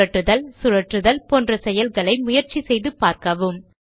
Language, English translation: Tamil, Try out operations, such as, rotate and flip